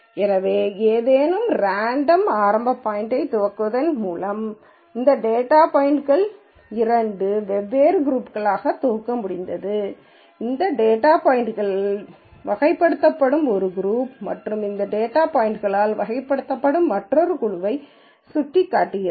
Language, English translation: Tamil, So, by starting at some random initial point, we have been able to group these data points into two different groups, one group which is characterized by all these data points the other group which is characterized by these data points